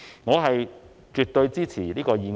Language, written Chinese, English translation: Cantonese, 我絕對支持這項議案。, I absolutely support this motion